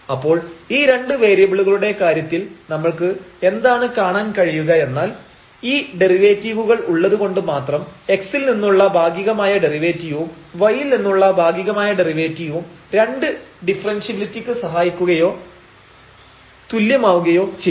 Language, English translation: Malayalam, So, there in case of the two variables what we will see that just having the derivatives, where the partial derivative with respect to x and partial derivatives derivative with respect to y will not help or will not be equivalent to two differentiability